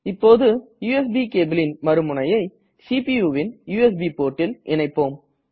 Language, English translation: Tamil, Now lets connect the other end of the cable, to the CPUs USB port